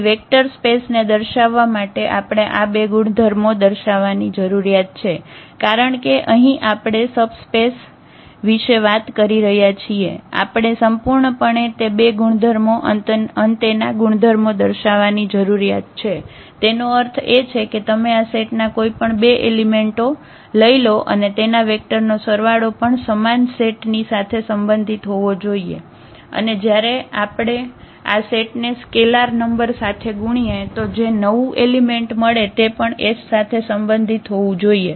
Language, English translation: Gujarati, So, for showing the vector space we need to show those two properties because we are talking about the subspace here we need to absolutely show those two properties that closure properties; that means, you take any two elements of this set and their vector addition should also belong to the same set and also when we multiply this set by a number a scalar number that the new element should also belong to this set S